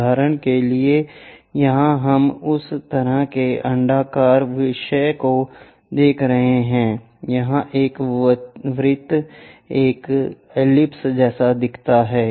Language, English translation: Hindi, For example, here we are seeing that kind of elliptical theme, a circle here looks like an ellipse